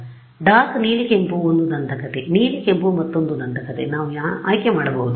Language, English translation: Kannada, So, dark blue red is one legend blue red is another legend we can choose ok